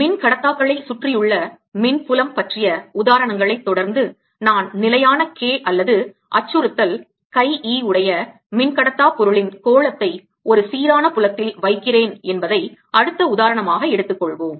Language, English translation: Tamil, continuing the examples on electric fields around dielectrics, let's take next example where i put a sphere of dielectric material of constant k or susceptibility chi, e in a uniform field and now i ask what will happen